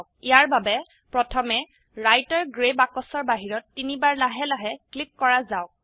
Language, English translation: Assamese, For this, let us first click outside this Writer gray box three times slowly